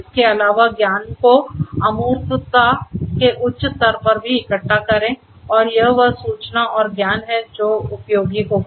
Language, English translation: Hindi, Further gather the knowledge at an even higher level of abstraction and it is that information and knowledge which is going to be useful